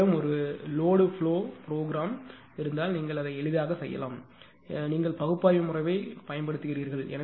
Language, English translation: Tamil, If you have a if you have a load flow program you can easily make it; you at least using analytical method